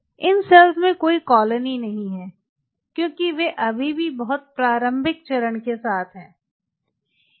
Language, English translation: Hindi, there is no colony because they are still with very early phase